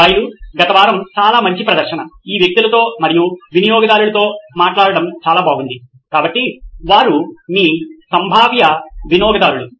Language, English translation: Telugu, Guys, so nice show last week, it was good talking to all these people and flesh and blood so they are your potential customers